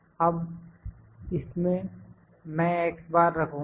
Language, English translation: Hindi, Now, this is my I will put x bar